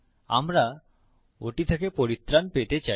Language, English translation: Bengali, We want to get rid of that